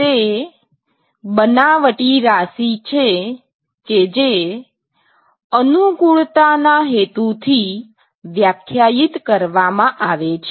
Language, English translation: Gujarati, It is a fictitious quantity, which is defined for convenience purposes